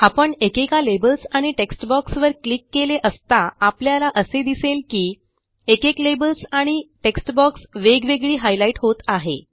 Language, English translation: Marathi, Now as we click on the individual labels and text boxes, we see that these elements are selected or highlighted individually